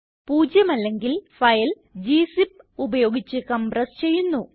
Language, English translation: Malayalam, If not zero, the file will be compressed using gzip